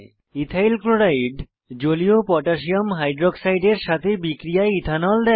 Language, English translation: Bengali, Ethyl chloride reacts with Aqueous Potassium Hydroxide to give Ethanol